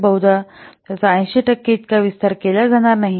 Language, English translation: Marathi, So, the probability that it will not be expanded as 80 percent